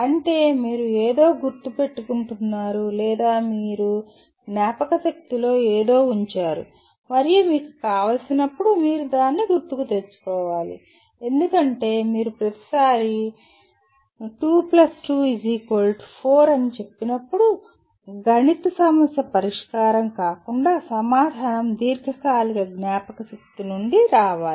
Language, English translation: Telugu, That is you have remembered something or you have put something in the memory and you are required to recall it whenever you want because you cannot each time any time say 2 * 2 = 4, the answer should come from the long term memory rather than trying to solve it as a mathematical problem